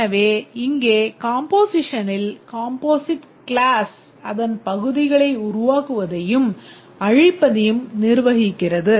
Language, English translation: Tamil, So, here in composition the composite class manages the creation and destruction of its parts